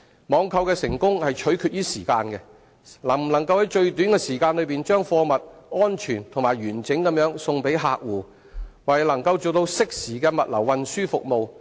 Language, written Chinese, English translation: Cantonese, 網購的成功，取決於時間，能否在最短的時間把貨物安全及完整地運送給客戶，為能做到適時的物流運輸服務。, Time is the essence of online trading . The success of this business depends on whether goods can be safely delivered to clients intact in the shortest time by providing timely logistics and transportation services